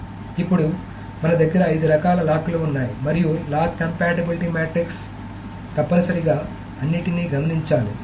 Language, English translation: Telugu, Now we have five kinds of locks and the lock compatibility matrix must be noted for all of them